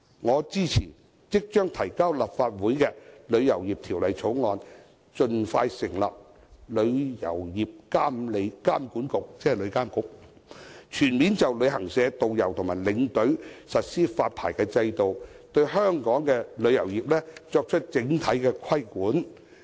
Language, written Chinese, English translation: Cantonese, 我支持已提交立法會的《旅遊業條例草案》，盡快成立旅遊業監管局，全面就旅行社、導遊和領隊實施發牌制度，對香港旅遊業作出整體規管。, I support the Travel Industry Bill introduced into the Legislative Council and urge for the expeditious establishment of the Travel Industry Authority to implement a holistic licensing regime on travel agencies tour guides and tour escorts and impose an overall regulation of the tourism industry of Hong Kong